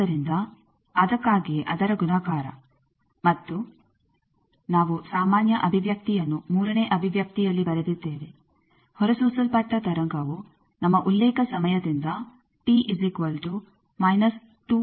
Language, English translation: Kannada, So, that is why multiplication of that and we have written the general expression at the third expression, that the wave which was emitted minus two n T d back from our reference time